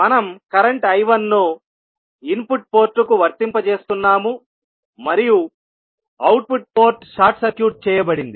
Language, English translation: Telugu, We are applying current I 1 to the input port and output port is short circuited